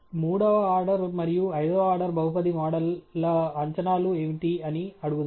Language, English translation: Telugu, Let’s ask what are the predictions of the third order and fifth order polynomial models